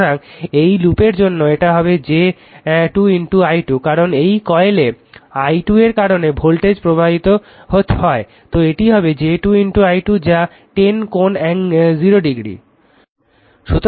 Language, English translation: Bengali, So, it will be for this loop it will be minus j 2 into your i 2 right, because in this coil voltage induced due to i 2, it will be minus j 2 into i 2 that is 10 angle 0 right